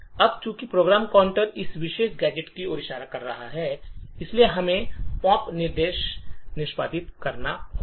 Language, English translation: Hindi, Now since the program counter is pointing to this particular gadget, we would have the pop instruction getting executed